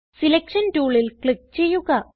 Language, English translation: Malayalam, Click on Selection tool